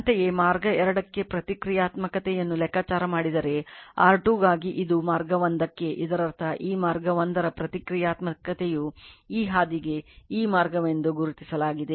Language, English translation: Kannada, Similarly, for R 2 if you calculate reactance for path 2, this is for path 1; that means, this path right that reactance of this path 1 is for this path it is marked as like this